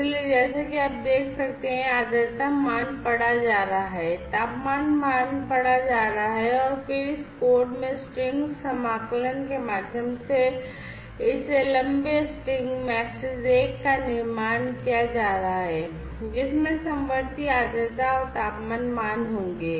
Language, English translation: Hindi, So, as you can see this humidity value is being read, the temperature value is being read, and then through string concatenation in this code this long string msg 1 is being built, which will have the concatenated humidity and temperature values